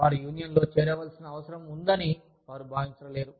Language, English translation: Telugu, They do not feel, the need to join a union